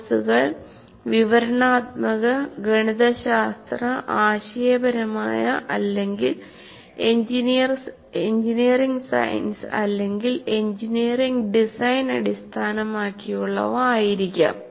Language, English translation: Malayalam, For example, courses can be descriptive, mathematical, conceptual or engineering science or engineering or design oriented